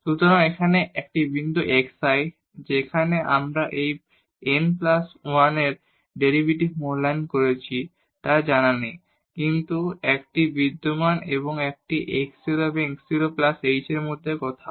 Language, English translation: Bengali, So, the this point here xi where we have evaluated this n plus 1 a derivative it is not known, but it exists and it is somewhere between x 0 and x 0 plus h